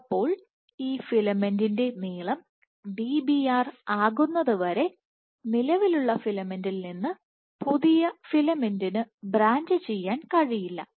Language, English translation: Malayalam, So, till this filament is of length Dbr, new filament cannot branch from this existing filament